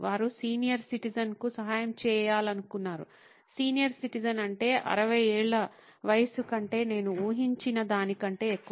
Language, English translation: Telugu, They wanted to help senior citizen, a senior citizen meaning more than I guess 60 years of age